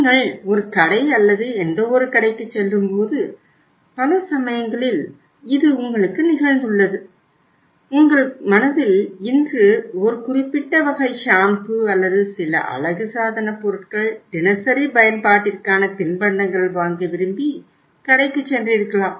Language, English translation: Tamil, On many times it has happened with you also when you visit a store or any shop and you have something in your mind that I want to today buy a particular type of the shampoo or maybe some cosmetic or maybe some other thing of daily use or some some say thing to eat like salted uh you can call it snacks